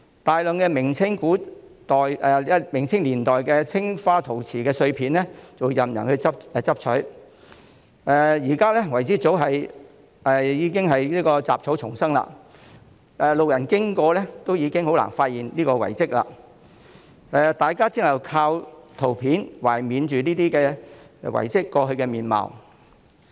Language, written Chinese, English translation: Cantonese, 大量明、清年代青花陶瓷碎片任人拾取，遺址現在早已是雜草叢生，路人經過亦很難發現這個遺蹟，大家只能靠圖片懷緬遺蹟過去的面貌。, A large number of broken pieces of blue - and - white porcelain from the Ming and Qing dynasties were there for people to pick up . The site is now overgrown with weeds and hardly noticed by passers - by . We can only rely on pictures to recall how the site used to look like